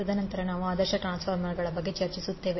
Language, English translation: Kannada, And then also we will discuss about the ideal transformer